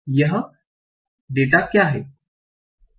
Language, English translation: Hindi, So, what is the data